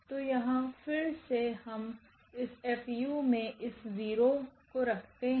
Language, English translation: Hindi, So, here again we have this 0 into this F u